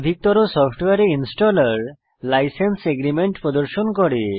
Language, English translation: Bengali, As with most softwares, the installer shows a License Agreement